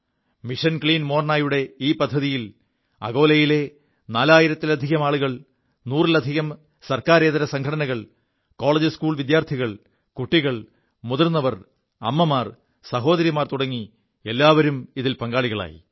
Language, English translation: Malayalam, This noble and grand task named Mission Clean Morna involved more than six thousand denizens of Akola, more than 100 NGOs, Colleges, Students, children, the elderly, mothers, sisters, almost everybody participated in this task